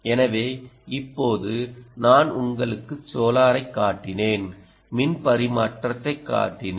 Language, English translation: Tamil, ok, so now i showed you solar, i showed you ah on power transfer